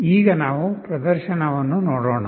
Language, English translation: Kannada, Let us look at the demonstration now